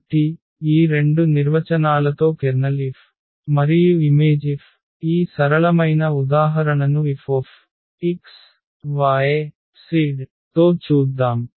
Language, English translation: Telugu, So, with this 2 definitions the kernel F and the image F, we let us just look at this simple example with F x y z